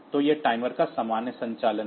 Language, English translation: Hindi, So, this is the generic operation of the timer